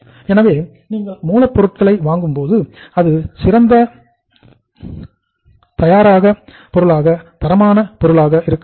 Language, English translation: Tamil, So in that case when you buy the raw material that should be of the best quality